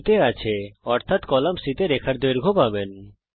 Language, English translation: Bengali, Right now its at value so you see the length of the line in the column C